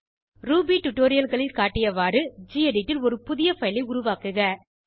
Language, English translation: Tamil, Create a new file in gedit as shown in the basic level Ruby tutorials